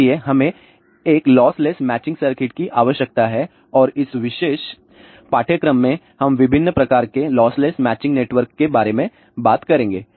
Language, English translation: Hindi, Hence we need a loss less matching circuit and in this particular course we will talk about lot of different type of loss less matching network